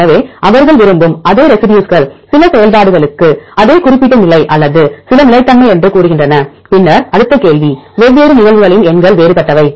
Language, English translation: Tamil, So, the same residue they like to be same specific position for some functions or some say stability, then next question is for the different cases numbers are different